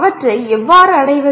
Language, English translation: Tamil, How do you attain them